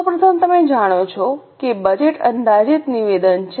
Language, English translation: Gujarati, First of all, you all know that budget is an estimated statement